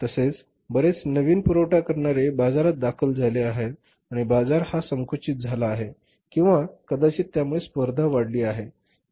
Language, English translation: Marathi, Many new suppliers have entered the market, market has strength or maybe the competition is gone up